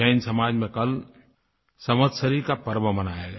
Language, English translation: Hindi, The Jain community celebrated the Samvatsari Parva yesterday